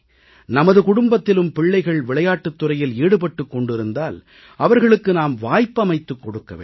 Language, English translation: Tamil, If the children in our family are interested in sports, they should be given opportunities